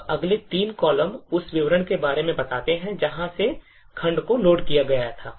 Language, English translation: Hindi, Now these three columns specify details about from where the segment was actually loaded from